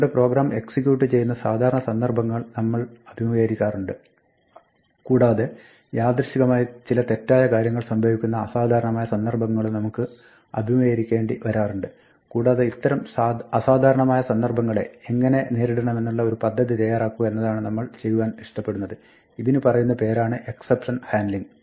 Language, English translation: Malayalam, We encounter a normal situation, the way we would like our program to run and then occasionally we might encounter an exceptional situation, where something wrong happens and what we would like to do is provide a plan, on how to deal with this exceptional situation and this is called exception handling